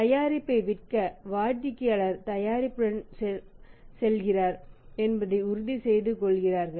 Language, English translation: Tamil, He want to sell the product make sure that customer goes with the product